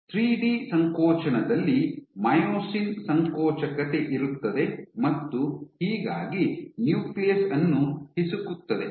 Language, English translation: Kannada, So, in 3D contractile you have myosin contractility, squeezing the nucleus